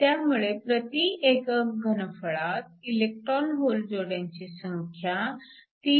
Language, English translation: Marathi, So, The number of electron hole pairs per unit volume is nothing but 3